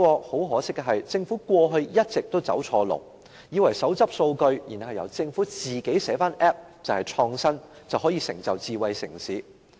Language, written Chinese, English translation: Cantonese, 很可惜，政府過去一直走錯路，以為手執數據，然後由政府自行寫 Apps 便是創新，可以成就智慧城市。, Unfortunately the Government has all along taken the wrong direction and thought that by developing its own apps with its data it has taken forward innovation and promoted the development of smart city